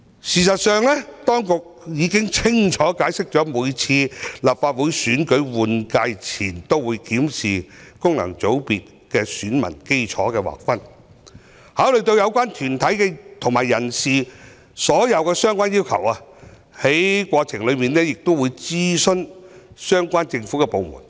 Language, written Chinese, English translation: Cantonese, 事實上，當局已經清楚解釋，每次立法會換屆選舉前都會檢視功能界別選民基礎的劃分，考慮有關團體和人士所有的相關要求，在過程中亦會諮詢相關政府部門。, In fact the authorities have explained clearly that before each Legislative Council general election a review of the delineation of the electorate of FCs would be conducted taking into account the demands of relevant bodies and persons and relevant government departments will be consulted in the process